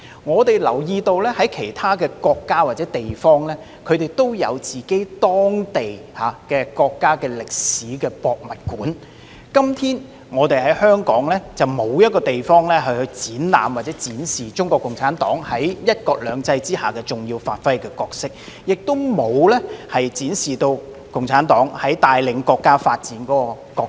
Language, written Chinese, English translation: Cantonese, 我們留意到，其他國家或地方均設有當地的國家歷史博物館，但香港至今仍沒有地方專供展示中國共產黨在"一國兩制"下發揮的重要角色，或展示共產黨帶領國家發展所擔當的角色。, While other countries or places are known to have their own national history museums we notice that Hong Kong is yet to designate a place for showcasing the key role of CPC under one country two systems or its role in leading the countrys development